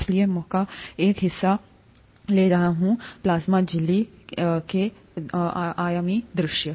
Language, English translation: Hindi, So I am taking a part of the plasma membrane, a two dimensional view